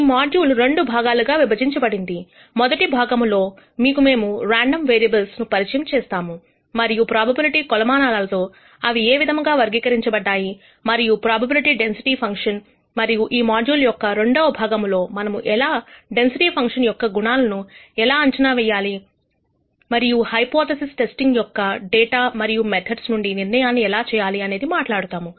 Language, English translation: Telugu, The module is divided into two parts: in the first part we will provide you an introduction to random variables and how they are characterized using probability measures and probability density functions, and in the second part of this module we will talk about how parameters of these density functions can be estimated and how you can do decision making from data using the method of hypothesis testing